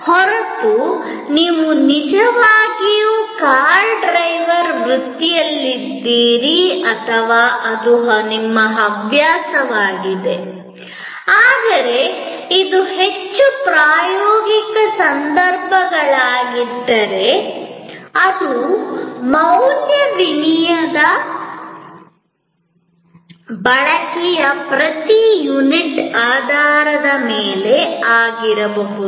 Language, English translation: Kannada, Unless, you really are in the profession of car driving or it is your hobby, but was most practical cases, then it could be based on this per unit of usage basis of value exchange